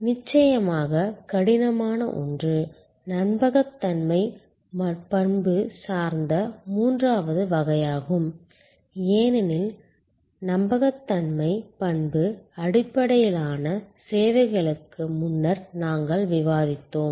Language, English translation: Tamil, The toughest one of course, is the third category which is credence attribute, as we have discussed before credence attribute based services